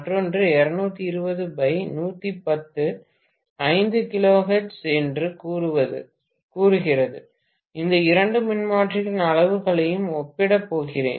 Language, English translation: Tamil, Another one is 220 by 110 say 5 kilohertz, I am going to compare the sizes of these two transformers